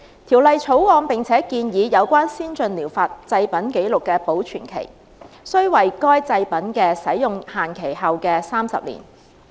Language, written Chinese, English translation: Cantonese, 《條例草案》並且建議，有關先進療法製品紀錄的保存期，須為該製品的使用期限後的30年。, The Bill also proposed that these records concerning APTs must be kept for a period of 30 years after the expiry date of the products